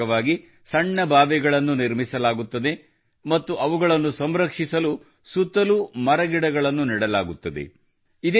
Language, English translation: Kannada, Under this, small wells are built and trees and plants are planted nearby to protect it